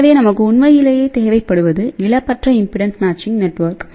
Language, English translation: Tamil, So, what we really need is a lossless impedance matching network